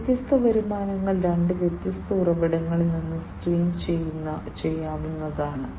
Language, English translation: Malayalam, And these different revenues could be streamed from two different sources